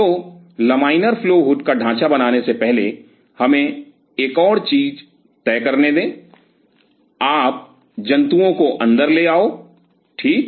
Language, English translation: Hindi, So, before lamina flow hood design, let us decide one more stuff you get the animal inside right